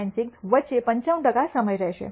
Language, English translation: Gujarati, 96, 95 percent of the time